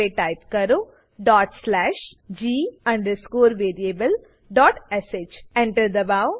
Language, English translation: Gujarati, Type dot slash l variable.sh Press Enter